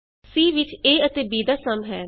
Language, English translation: Punjabi, c holds the sum of a and b